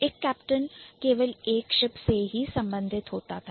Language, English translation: Hindi, So, a captain can only belong to a ship